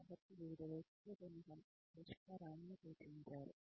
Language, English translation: Telugu, So, some solutions have been suggested, by various people